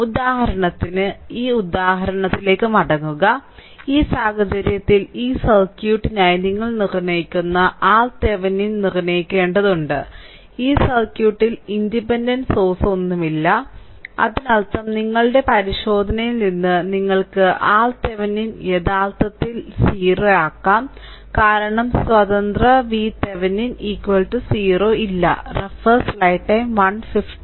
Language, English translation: Malayalam, So, come back to this example for example, in this case we have to determine your determine R R Thevenin right for this circuit, for look at that circuit there is no independent source in this circuit; that means, from your inspection you can make it that R Thevenin actually is equal to 0, because there is no independent sorry not R Thevenin sorry V Thevenin is equal to 0 right not R Thevenin V Thevenin is equal to 0 right